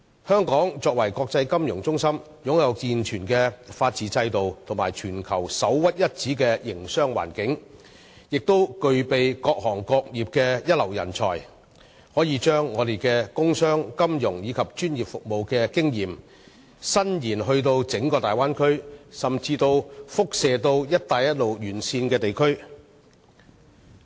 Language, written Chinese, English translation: Cantonese, 香港是國際金融中心，擁有健全的法治制度及全球首屈一指的營商環境，更具備各行各業的一流人才，我們可以把自己的工商、金融和專業服務經驗在整個大灣區運用，甚至輻射至"一帶一路"沿線地區。, Hong Kong is an international financial centre characterized by a sound legal system based on the rule of law a business environment which is the best in the world and also first - rate talents in various trades . We can use the experience we have gained in industry commerce finance and professional services for the benefit of the entire Bay Area and even radiate the experience to areas located along the Belt and Road